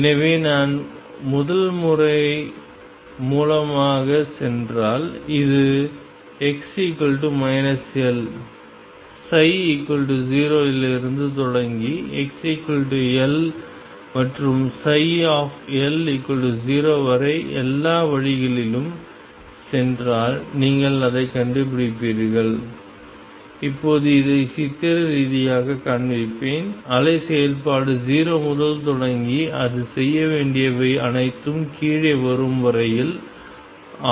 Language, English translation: Tamil, So, if I go by method one, which I said is start from x equals minus L psi equals 0 and go all the way up to x equals L and psi L equals 0 you will find that and now let me show this pictorially this is what happens the wave function would start from 0 to whatever it is supposed to do come down